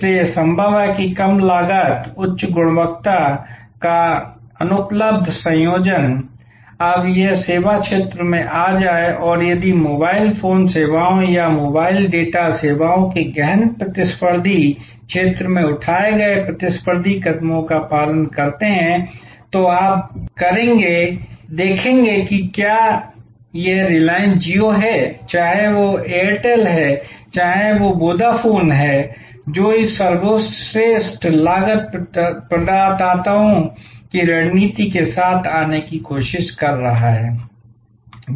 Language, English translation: Hindi, So, it is possible to offer that unassailable combination of low cost, high quality and this is now coming into services field and if you observe the competitive steps taken by in the intensive competitive field of say mobile phone services or mobile data services, you will see whether it is the reliance jio, whether it is Airtel, whether it is Vodafone their all trying to come up with this best cost providers strategy